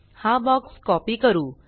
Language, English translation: Marathi, Let us copy this box